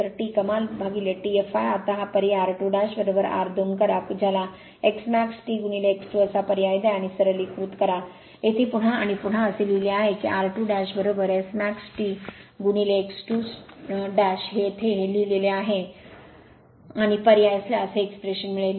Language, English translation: Marathi, So, T max upon T f l is equal to now you substitute r 2 dash is equal to your r 2 call that x max T into x 2 dash you substitute and simplify you here it is written here again and again that r 2 dash is equal to S max T into x 2 dash here it is written, and you substitute